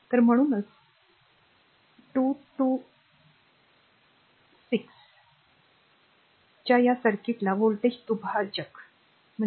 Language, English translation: Marathi, So, therefore, the therefore, this the circuit of 226 is called a voltage divider, right